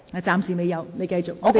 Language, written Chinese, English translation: Cantonese, 暫時未有，請你繼續發言。, Not yet . Please continue your speech